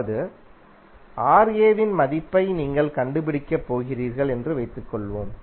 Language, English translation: Tamil, That means suppose you are going to find out the value of Ra